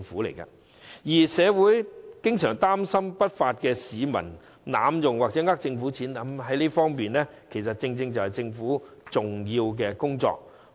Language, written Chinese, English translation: Cantonese, 至於社會經常擔心有不法市民會濫用計劃或欺騙公帑的問題，這正正是政府重要的工作。, As for the worry of the community about possible abuse of the scheme or the deception of public money by unruly elements this is exactly a significant task the Government should undertake